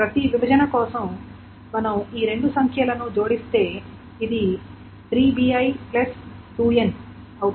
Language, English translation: Telugu, So if we add these two numbers up, for each partition, this is 3b